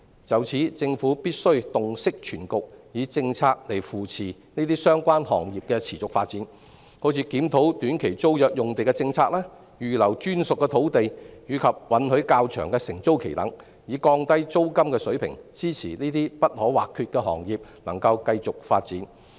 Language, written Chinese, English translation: Cantonese, 就此，政府必須洞悉全局，以政策扶持這些行業的持續發展，例如檢討短期租約用地的政策、預留專屬土地及允許較長的承租期等，以降低租金水平，支持這些不可或缺的行業持續發展。, In this connection the Government must discern the overall situation and provide such industries with policy - backed support for their sustainable development such as reviewing the policy on STT sites reserving dedicated sites and allowing longer tenancy tenures with a view to lowering rentals thus supporting the sustainable development of such indispensable industries